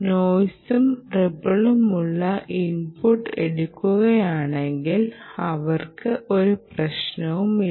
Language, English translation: Malayalam, they have no problem about taking a noisy ripple input